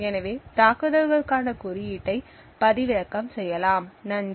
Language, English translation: Tamil, So, the code for the attack can be downloaded, thank you